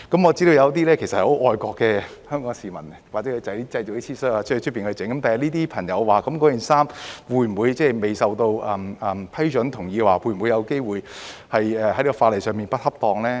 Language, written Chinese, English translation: Cantonese, 我知道有些很愛國的香港市民會在外面製作一些 T 恤，他日這些朋友的衣服會否因未獲批准和同意而有機會被視為在法例上不恰當呢？, I know that some very patriotic Hong Kong people would have some T - shirts made to order . Would the clothes of these fellow people be deemed inappropriate under the legislation in future because no approval or consent has been obtained?